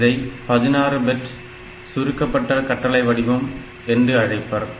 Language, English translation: Tamil, So, it is a 16 bit compressed format